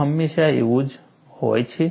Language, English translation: Gujarati, Is it always so